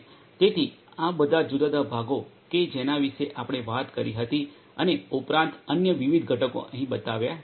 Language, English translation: Gujarati, So, all these different components that we talked about and different other components additionally have been shown over here